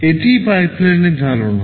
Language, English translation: Bengali, This is the concept of pipeline